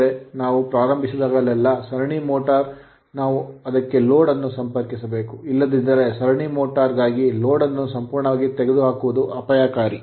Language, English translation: Kannada, So that means, series motor whenever you start you have to start with the connecting some load, then you start right otherwise this is dangerous to remove the load completely for series motor